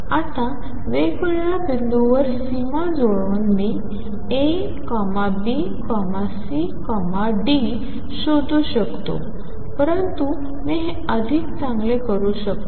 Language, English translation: Marathi, Now by matching the boundaries at different points I can find A B C and D, but I can do better